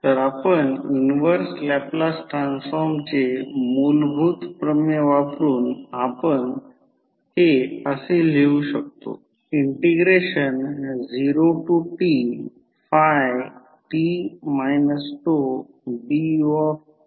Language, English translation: Marathi, So, when you take the inverse Laplace transform what you get